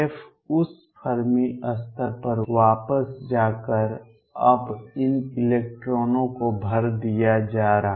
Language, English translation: Hindi, Going back to that Fermi level being filled now these electrons being filled